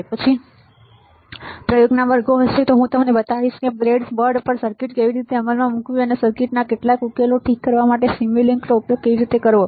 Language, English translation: Gujarati, After that will have experiment classes where I will show you how to implement the circuit on breadboard, and how to use simulink to solve some of the to solve of the circuits ok